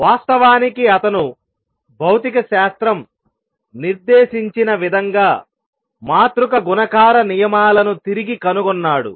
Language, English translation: Telugu, In fact, he rediscovered in a way dictated by physics the matrix multiplication rules